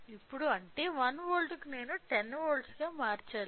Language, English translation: Telugu, Now, so that means, 1 volt I should convert into 10 volts